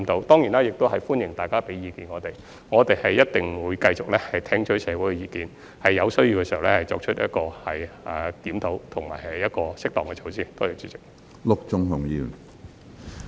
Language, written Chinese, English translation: Cantonese, 當然，也歡迎大家給予我們意見，我們一定會繼續聽取社會的意見，在有需要時作出檢討及適當的措施。, And certainly we welcome Members to provide us with their views . We will continue to listen to the views in society and conduct reviews and implement appropriate measures when necessary